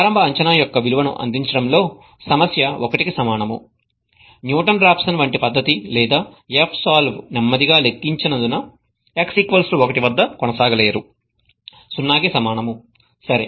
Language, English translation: Telugu, The problem with providing the value of initial guess equal to 1, is that the method such as Newton Raphson or F solve cannot proceed because the slope calculated at x equal to 1 is equal to 0